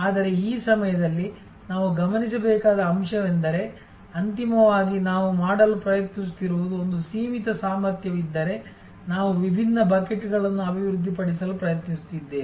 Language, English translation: Kannada, But, at this point it is important to note that we have to, ultimately what we are trying to do is if there is a finite capacity, we are trying to develop different buckets